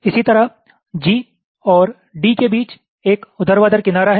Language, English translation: Hindi, similarly, between g and d there is a vertical edge